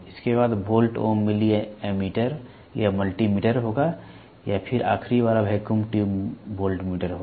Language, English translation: Hindi, Next will be volt ohm milli ammeter or multi meter or then the last one is going to be vacuum tube voltmeter